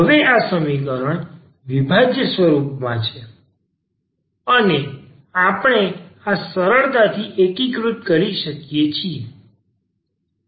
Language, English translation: Gujarati, Now, this equation is in separable form and we can integrate this easily